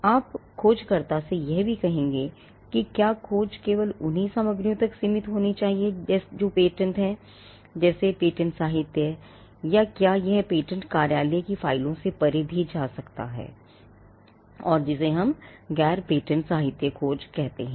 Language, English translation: Hindi, Now you would also say to the searcher whether the search should confine to only materials that are patents; that is, the patent literature, or whether it could also go beyond the files of the patent office, and which is what we call a non patent literature search